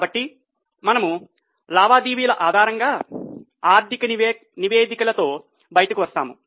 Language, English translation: Telugu, So, we come out with financial statements based on transactions